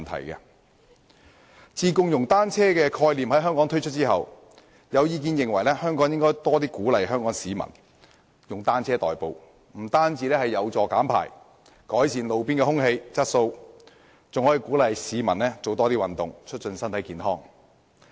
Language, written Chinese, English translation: Cantonese, 自香港推出"共融單車"的概念後，有意見認為政府應更鼓勵香港市民使用單車代步，這樣不但有助減排和改善路邊空氣質素，還可以鼓勵市民多做運動，促進身體健康。, Since the germination of the idea of inclusive cycling in Hong Kong there have been views that the Government should offer greater incentives for members of the public in Hong Kong to commute by bicycles . It can not only help reduce emissions and improve roadside air quality but also encourage people to exercise more to promote physical well - being